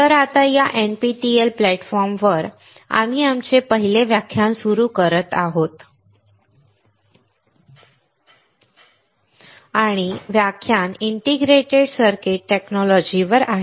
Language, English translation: Marathi, So now, in this NPTEL platform, we are starting our first lecture and the lecture is on integrated circuit technology